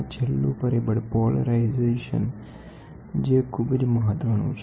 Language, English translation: Gujarati, The last one is polarization, which is a very very important parameter